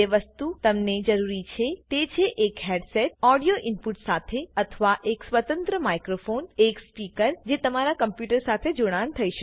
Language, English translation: Gujarati, All you need is a headset with an audio input or a stand alone microphone and speakers which can be attached to your computer